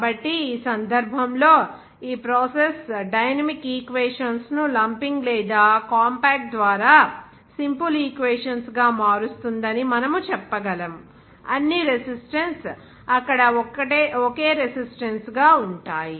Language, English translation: Telugu, So in this case, we can say that these process dynamic equations are made to have simple equations by lumping or compact, all the resistances into a single resistance there